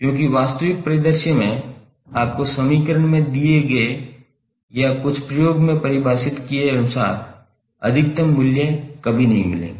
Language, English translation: Hindi, Because in real scenario you will never get peak values as given in the equation or as defined in some experiment